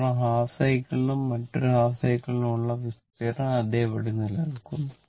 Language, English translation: Malayalam, Because, area for half cycle and another half cycle remain same